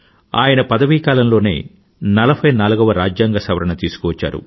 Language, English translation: Telugu, During his tenure, the 44th constitutional amendment was introduced